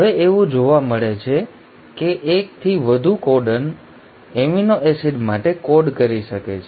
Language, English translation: Gujarati, Now there is seen that the more than 1 codon can code for an amino acid